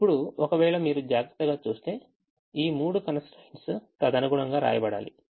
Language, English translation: Telugu, if you see carefully, the now this three constraints have to be written accordingly